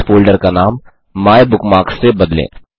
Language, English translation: Hindi, * Rename this folder MyBookmarks